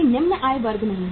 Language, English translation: Hindi, No lower middle income groups